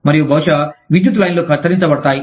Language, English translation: Telugu, And, maybe, the power lines are cut